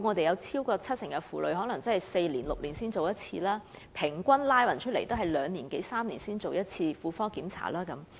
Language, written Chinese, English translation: Cantonese, 有超過七成婦女每隔4年至6年才檢查1次，平均則每2年至3年進行1次婦科檢查。, Over 70 % of the respondents have taken gynaecological check - up only once every four to six years and the average interval between two check - ups was two to three years